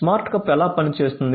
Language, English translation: Telugu, So, how the smart cup works